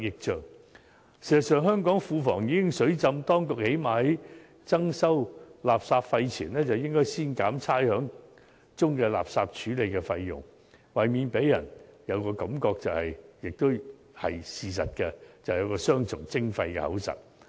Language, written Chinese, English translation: Cantonese, 事實上，香港庫房已"水浸"，當局在增收垃圾費前，最少應先減去差餉中垃圾處理的費用，以免令人感到——這也是事實——政府是雙重徵費。, With the Treasury now inundated with cash the authorities should at least take away the refuse handling fee portion from the rates before introducing a new refuse levy so as avoid giving the public an impression―though it is a real fact―that the Government is double - charging